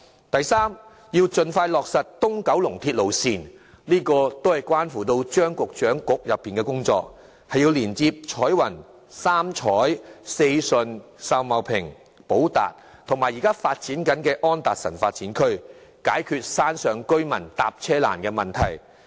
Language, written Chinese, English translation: Cantonese, 第三，盡快落實東九龍鐵路線，這些是關乎張局長局內的工作，要連接彩雲、三彩、四順、秀茂坪、寶達及現正發展的安達臣發展區，以解決山上居民乘車困難的問題。, Third the proposed East Kowloon Line has to be implemented as soon as practicable since this project falls within the ambit of the bureau headed by Secretary CHEUNG . It is necessary to connect Choi Wan Sam Choi Sei Shun Sau Mau Ping Po Tat and the project right now under construction namely Development at Anderson Road in order to provide a solution to people living on hill slopes who have difficulty catching any means of public transport